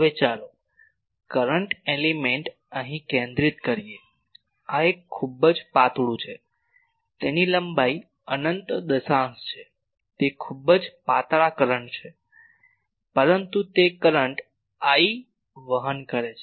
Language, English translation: Gujarati, Now, there the let the current element is centered here this is the very thin, its length is infinite decimal, it is a very thin current, but it is carrying a current I